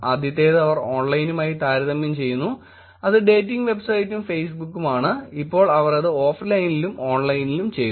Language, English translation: Malayalam, First one, they compare online versus online which is the dating website and Facebook, now what they did was they did the offline and the online